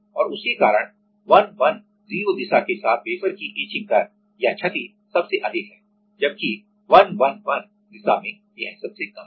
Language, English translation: Hindi, And because of that the etching rate or the damage of the wafer along the 110 direction is the highest whereas, 111 direction it is the lowest